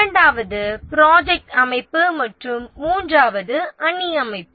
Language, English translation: Tamil, The second is the project organization and the third is the matrix organization